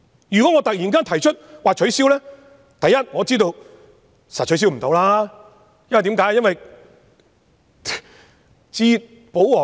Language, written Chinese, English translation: Cantonese, 如果我突然提出取消，第一，我知道一定無法取消，為甚麼呢？, If I suddenly propose to repeal the Rules for one I knew for sure it will be a failure . Why?